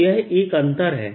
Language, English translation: Hindi, so that's one